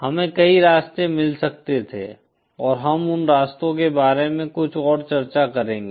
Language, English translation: Hindi, We could have found many paths and we will discuss some more, few of more those paths